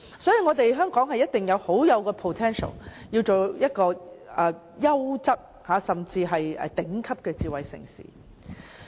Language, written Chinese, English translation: Cantonese, 所以，香港一定有 potential 成為優質甚至是頂級的智慧城市。, Hence Hong Kong definitely has the potential to become a quality and even top - notch smart city